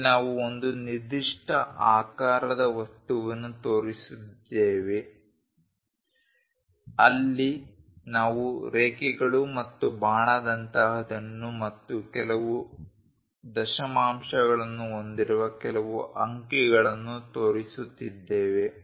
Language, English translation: Kannada, Here we are showing an object of particular shape, there we are showing something like lines and arrow and some numerals with certain decimals